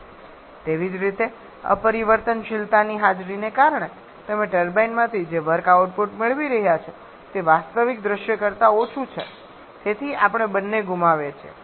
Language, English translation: Gujarati, Similarly because of the presence of irreversibility is the work output that you are getting from the turbine is less than the actual scenario thereby we are losing in both account